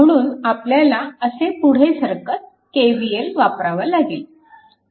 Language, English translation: Marathi, Therefore, if you apply KVL moving like this